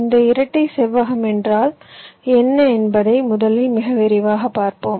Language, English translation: Tamil, now let us first very quickly see what this rectangular dual means